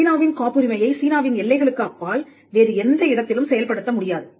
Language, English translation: Tamil, A Chinese patent cannot be enforced in any other place beyond the boundaries of China